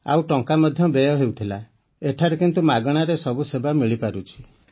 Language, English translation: Odia, And money was also wasted and here all services are being done free of cost